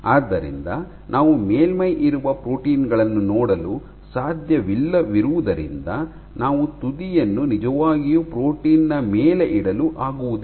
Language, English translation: Kannada, So, you cannot see the proteins on the surface, that you can really position the tip on top of a protein